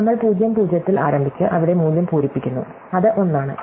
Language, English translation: Malayalam, So, we start at ( and we fill the value there, which is 1